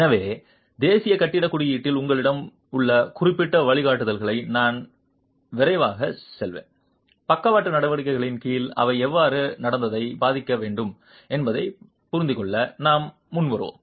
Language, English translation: Tamil, So, I will quickly go over the specific guidelines that you have in National Building Code, which we will then carry forward to understand how they should affect the behavior under lateral actions